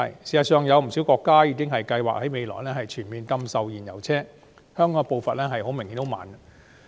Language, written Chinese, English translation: Cantonese, 事實上，不少國家正計劃全面禁售燃油車，香港的步伐顯然十分緩慢。, In fact quite a number of countries are planning to ban completely the sale of fuel - driven vehicles but the pace in Hong Kong has apparently been very slow